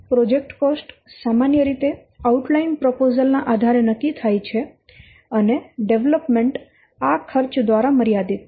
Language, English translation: Gujarati, The project cost is agreed on the basis of an outline proposal and the development is constrained by that cost